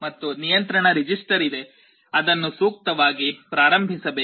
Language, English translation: Kannada, And there is a control register that has to be initialized appropriately